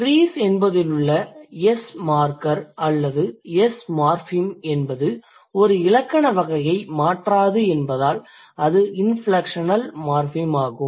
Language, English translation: Tamil, So, in case of trees, the S marker or the S morphem is an inflectional morphem because it doesn't change the grammatical category